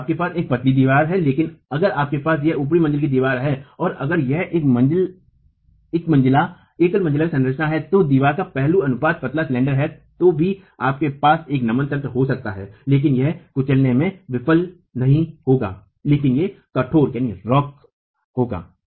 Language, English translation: Hindi, So, you have a slender wall but if you have this is a top story wall or if it is a single story structure and the wall aspect ratio is such that it is slender, you can still have a flexual mechanism but it will not fail in crushing but it will rock